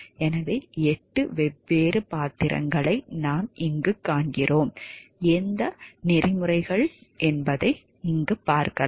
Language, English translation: Tamil, So, what we find over here there are 8 different roles, which codes of ethics may play